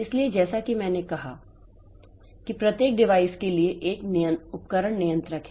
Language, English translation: Hindi, So, as I said for each device there is a device controller